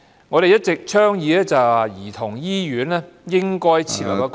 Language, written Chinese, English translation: Cantonese, 我們一直倡議兒童醫院應該設立一個......, We have all along been advocating the setting up in the Childrens Hospital of a